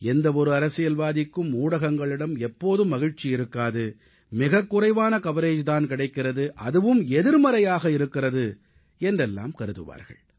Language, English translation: Tamil, No political person is ever happy with the media, he feels that he is getting a very little coverage or the coverage given to him is negative